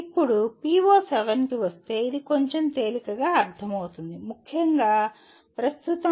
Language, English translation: Telugu, Now coming to PO7, this is a little more easily understandable; particularly at present